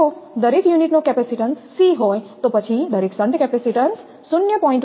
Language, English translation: Gujarati, If the capacitance of each unit is C, then each shunt capacitance equal to 0